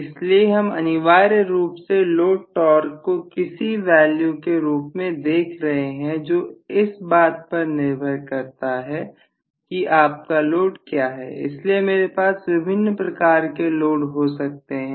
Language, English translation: Hindi, So we are essentially looking at the low torque as some value which depends upon whatever is your load mechanism, so I can have different types of load mechanism